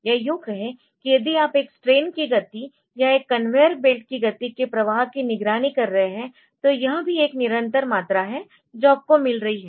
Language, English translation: Hindi, Or if you are monitoring the flow of a say speed of a strain or say speed of a belt conveyer belt so, that is also a continuous quantity that you are getting